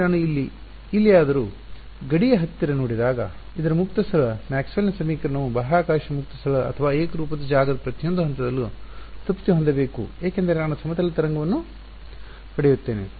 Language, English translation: Kannada, But when I do this now when I look anywhere close to the boundary because its free space Maxwell’s equation should be satisfied at each point in space free space or homogeneous space I will get a plane wave